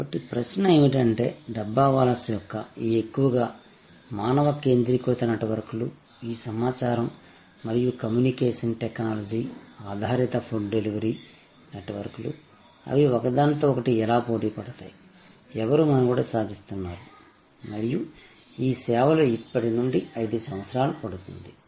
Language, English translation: Telugu, So, the question is, this largely human centric networks of the Dabbawalas versus this information and communication technology based food delivery networks, how they will compete with each other, who will survive and what shape will this services take 5 years from now